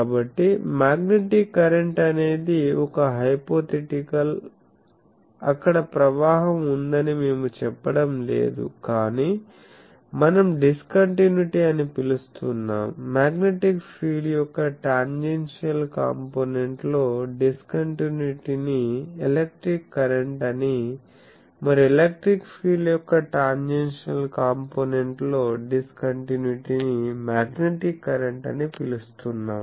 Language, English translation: Telugu, So, magnetic current it is hypothetical we are not saying there is a flow, but discontinuity we are calling, tangential component discontinuity of the electric field that we are calling magnetic current and tangential component discontinuity in the magnetic field that we are calling